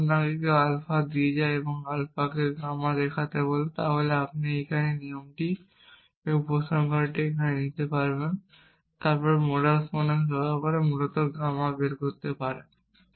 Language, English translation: Bengali, If somebody have given you alpha and asked you to show gamma then you can just take this rule here and this conclusion here and then use modus ponens can derive gamma essentially